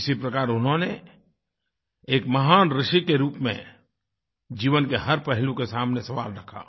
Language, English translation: Hindi, Thus, as a great sage, he questioned every facet of life